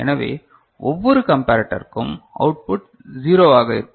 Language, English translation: Tamil, So, for each of the comparator then the output will be 0